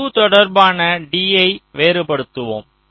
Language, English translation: Tamil, we differentiate d with respect to u